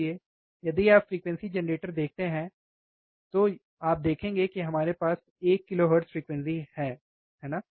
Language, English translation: Hindi, So, if you see the frequency generator, frequency generator, this one, you will see we have we are applying one kilohertz frequency, right